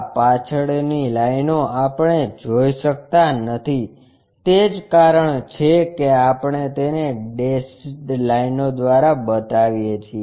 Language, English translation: Gujarati, This backside lines we cannot really see that is the reason we show it by dashed line